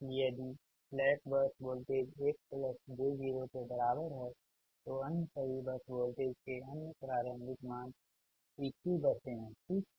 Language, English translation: Hindi, so if the slack bus voltage is equal to one plus j zero, then all other initial values of all other bus voltage is pq, pq buses